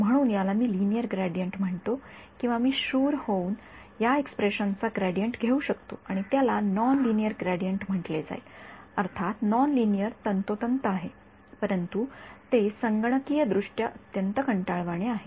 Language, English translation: Marathi, So, this is what I call the linear gradient or I can be brave and take a gradient of this expression and that will be called a non linear gradient; obviously, non linear is exact, but it's computationally very tedious